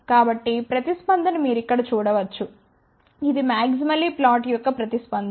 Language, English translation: Telugu, So, here is the response you can see that this is the response for maximally flat